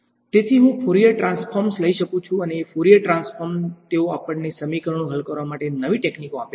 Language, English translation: Gujarati, So, I can take Fourier transforms and Fourier transforms they give us a new set of techniques to solve equations right, at the end of the day they are techniques